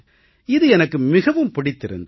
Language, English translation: Tamil, I liked it